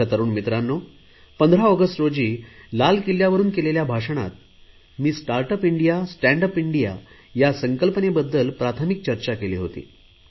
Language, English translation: Marathi, My dear young friends, I had some preliminary discussions about "Startup India, Standup India" in my speech on 15th August from the Red Fort